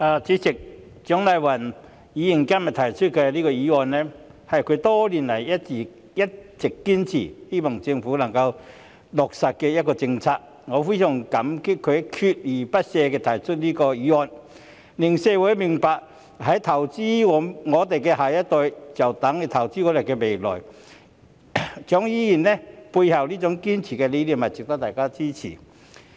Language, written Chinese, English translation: Cantonese, 主席，蔣麗芸議員今天提出的議案，是她多年來一直堅持希望政府能夠落實的政策，我非常感激她鍥而不捨地提出這項議案，令社會明白投資我們的下一代便等於投資我們的未來，蔣議員背後堅持的理念值得大家支持。, President the motion proposed by Dr CHIANG Lai - wan today is a policy which she has insisted for years that the Government should implement . I really appreciate her persistence in proposing this motion which enables the community to understand that investing in our next generation is equivalent to investing in our future . The underlying idea which Dr CHIANG holds fast to is worthy of our support